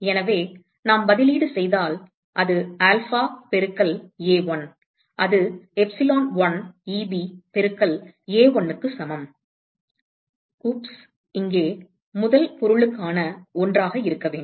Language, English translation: Tamil, So, if we substitute that will be alpha into A1 that is equal to epsilon1 Eb into A1, oops should be one here that is for the first object